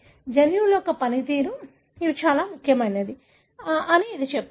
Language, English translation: Telugu, It tells you that these are very, very important for the function of the gene